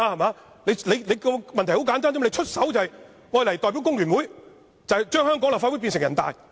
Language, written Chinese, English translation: Cantonese, 問題很簡單，他出手便是代表工聯會，將香港立法會變成人大。, The problem is simple . Once he made this move he does represent The Hong Kong Federation of Trade Unions in turning the Legislative Council of Hong Kong into NPC